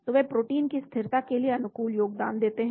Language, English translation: Hindi, so they contribute favourably to protein stability